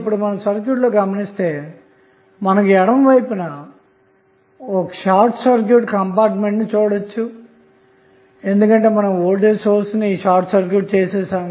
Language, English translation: Telugu, Now, if you see this circuit, this segment of the circuit what, what is there you will see this is the short circuit compartment because of the voltage source we short circuited